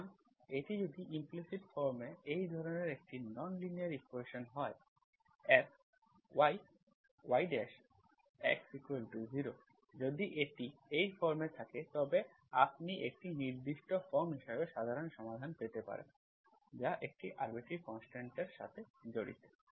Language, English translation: Bengali, So if it is a non linear equation like this in implicit form, FY, y dash, x equal to 0, if it is in this form, you may have, you may not have, you may have, you may get the general solution as a certain form that involves an arbitrary constant